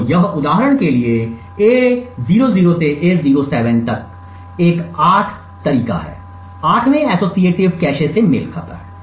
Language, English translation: Hindi, So, this for example A00 to A07 is an 8 way corresponds to the 8 way associative cache